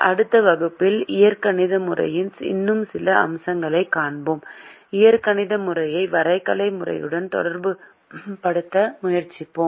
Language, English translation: Tamil, in the next class we will see some more aspects of the algebraic method and we will try to relate the algebraic method to the graphical method